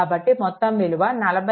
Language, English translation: Telugu, So, total is 40